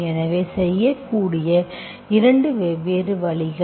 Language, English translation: Tamil, So 2 different ways you can do